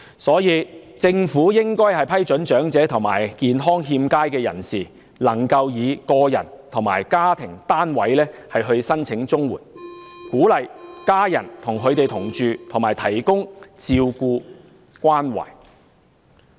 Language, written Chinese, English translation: Cantonese, 因此，政府應該批准長者及健康欠佳的人士以個人或家庭單位申請綜援，藉此鼓勵家人與他們同住，提供照顧和關懷。, Therefore the Government should allow elderly people and those in ill health to apply for CSSA on an individual basis or a household basis so as to encourage their families to live with them to look after and take care of them